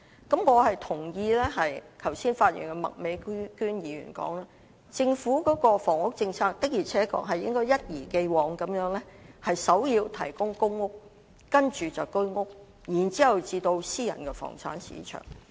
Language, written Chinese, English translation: Cantonese, 我認同意剛才發言的麥美娟議員的說法，政府的房屋政策的確應該一如既往地以提供公屋作為首要目標，接着是"居屋"，然後才到私人房產市場。, I share the view of Ms Alice MAK who spoke earlier on . The housing policy of the Government indeed should make the provision of PRH units its primary objective just as it has been doing before followed by HOS flats and the private property market should only come next